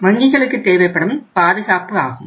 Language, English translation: Tamil, And this is the requirement of the banks